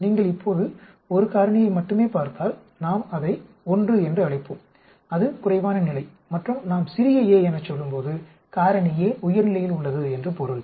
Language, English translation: Tamil, If you look at only 1 factor now, we will call it the 1, that is lower level and when we say small a, that means factor a is at higher level